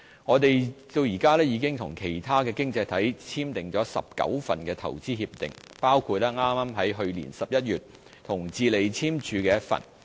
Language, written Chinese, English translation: Cantonese, 我們至今已與其他經濟體簽訂19份投資協定，包括剛在去年11月與智利簽署的一份。, To date we have signed IPPAs with 19 economies including the one we signed with Chile in November 2016